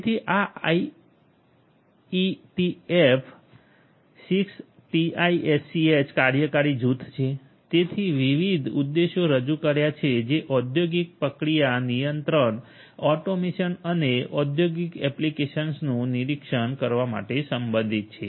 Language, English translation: Gujarati, So, there is this IETF 6TiSCH working group which introduced different objectives which are relevant for industrial process control, automation, and monitoring industrial applications